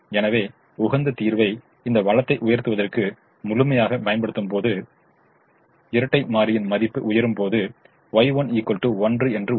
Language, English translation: Tamil, so when the optimum solution fully utilizes this resource, the dual has a value and y one is equal to one